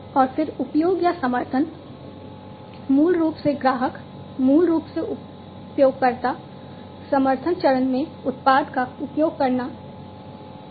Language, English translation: Hindi, And then use or support is basically the customer basically starts to use the product in the user support phase